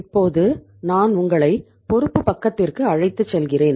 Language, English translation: Tamil, Now I will take you to the liability side